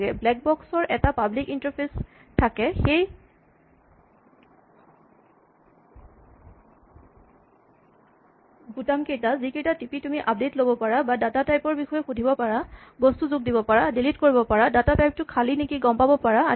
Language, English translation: Assamese, Like a black box has a public interface the buttons that you can push to update and query the data type to add things, delete things, and find out what whether the data type is empty and so on